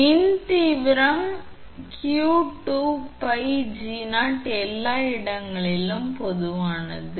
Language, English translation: Tamil, Therefore, electric intensity you can write q upon 2 pi epsilon 0 is common everywhere